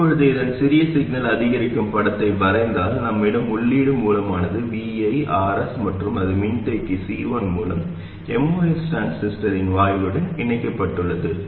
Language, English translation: Tamil, Now if I draw the small signal incremental picture of this, we will have the input source VI, RS, and it's connected through capacitor C1 to the gate of the most transistor